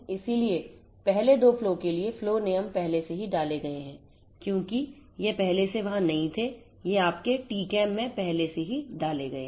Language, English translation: Hindi, So, the flow rule for the first two flows are already inserted because that was not already there so, it is already inserted in your TCAM